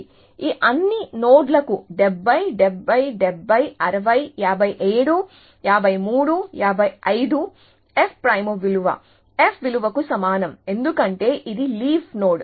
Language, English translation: Telugu, So, for all these nodes 70, 70, 70, 60, 57, 53, 55, the f prime value is the same as the f value, because it is a leaf node